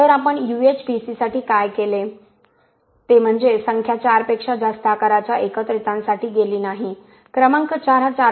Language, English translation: Marathi, So what we did is for UHPC we said ok, we are not going to go to aggregates of size more than number 4, number 4 is 4